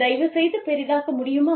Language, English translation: Tamil, Can you please, zoom in